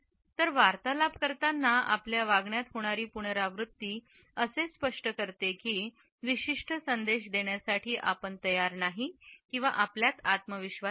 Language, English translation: Marathi, So, these repetitive takes in our behaviour communicate that we are not prepared and we are not confident to pass on a particular message